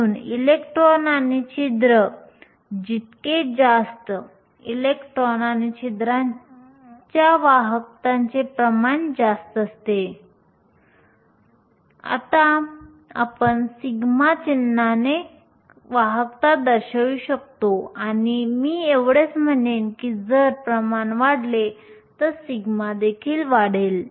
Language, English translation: Marathi, So, more the electrons and holes, higher is the conductivity concentration of electrons and holes we can denote conductivity by the symbol sigma and I will just say that if concentration increases, your sigma will also increase